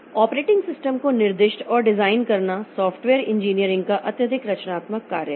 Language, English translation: Hindi, Specifying and designing and operating system is highly creative task of software engineering